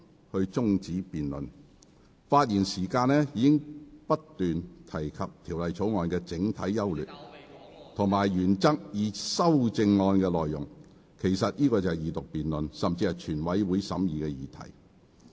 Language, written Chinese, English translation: Cantonese, 而且，議員發言時已不斷論述《條例草案》的整體優劣及原則以至修正案內容，這些實際上已是二讀辯論甚至全體委員會審議的議題。, Moreover Members have repeatedly discussed the general merits and principles of the Bill as well as the content of the amendments which are actually questions to be discussed in the Second Reading debate and even in the committee of the whole Council